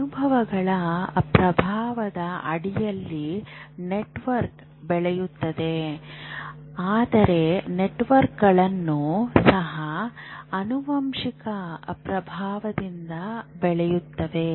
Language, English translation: Kannada, Obviously networks grow under the influence of experiences but networks also grow with genetic influence